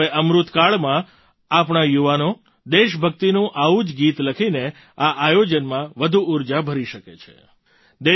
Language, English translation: Gujarati, Now in this Amrit kaal, our young people can instill this event with energy by writing such patriotic songs